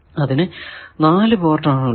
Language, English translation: Malayalam, So, at least 3 ports are required